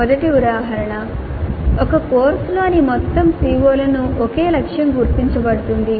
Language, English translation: Telugu, First example, CM target is identified for all the COs in a course